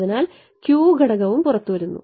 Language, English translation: Malayalam, So, the Q factor also comes out